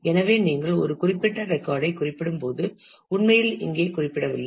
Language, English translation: Tamil, So, when you refer to a particular record you do not actually refer here